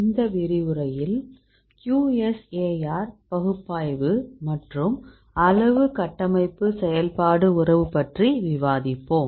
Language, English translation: Tamil, In this lecture we will discuss about the QSAR analysis that is quantitative structure activity relationship